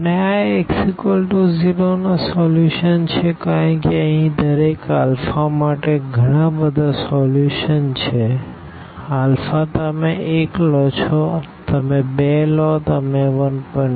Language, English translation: Gujarati, And, this the solution the solutions of this Ax is equal to 0 because there are so many solutions here for each alpha, alpha you take 1, you take 2, you take 1